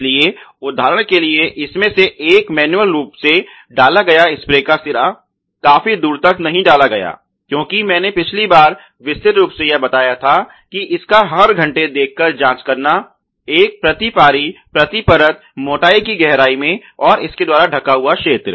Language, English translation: Hindi, So, one of these for example, the manually inserted spray head not inserted far enough as I detailed last time it has a visual check each hour one per shift per film thickness depth meter and coverage ok